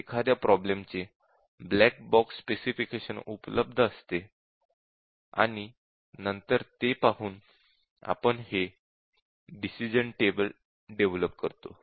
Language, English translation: Marathi, So, this is the black box specification for a problem, and then by looking at it, we develop this decision table